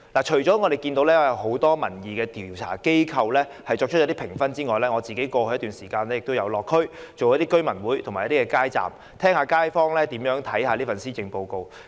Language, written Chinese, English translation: Cantonese, 除了有很多民意調查機構給予評分外，我在過去一段時間也曾到地區舉行居民大會和擺街站，聆聽街坊如何評價這份施政報告。, In addition to reading the ratings given by many opinion survey agencies I have organized residents meetings and set up street booths over a period of time to listen to neighbourhood residents views on this Policy Address